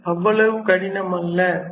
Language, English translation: Tamil, So, it is not that difficult